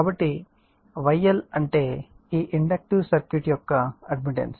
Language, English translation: Telugu, So, Y L is that admittance of this inductive circuit